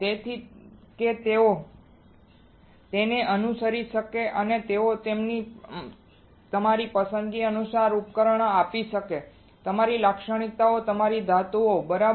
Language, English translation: Gujarati, So, that they can follow it and they can give you a device according to your choice your characteristics your metals, right